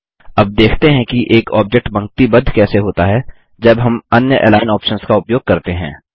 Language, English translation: Hindi, Let us now see how an object is aligned when we use different Align options